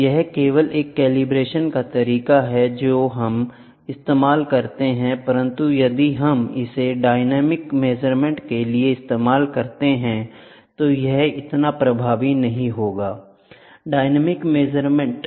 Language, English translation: Hindi, So, this is only a calibration method which we use, but if we start using it for a dynamic measurements, it is not good